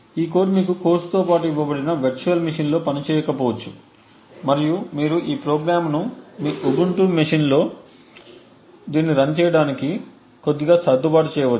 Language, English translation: Telugu, This code may not work on the virtual machine that was given to you along with the course and you may to tweak up this program a little bit and in order to get it run on your Ubuntu machines